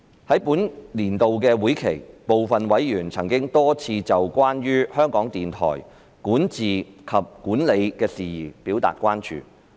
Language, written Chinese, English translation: Cantonese, 在本年度會期，部分委員曾多次就有關香港電台管治及管理的事宜表達關注。, During the session some members had on a number of occasions raised concerns over issues related to the governance and management of the Radio Television Hong Kong RTHK